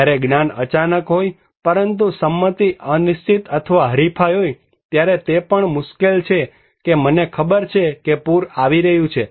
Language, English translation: Gujarati, When knowledge is sudden, but consent is uncertain or contested, it is also difficult that I know flood is coming